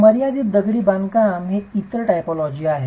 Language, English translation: Marathi, Confined masonry is the other typology